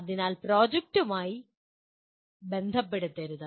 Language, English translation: Malayalam, So do not relate to the projects